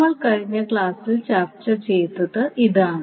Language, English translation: Malayalam, So, this is what we discuss in the last class